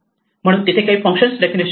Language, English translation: Marathi, So there are some function definitions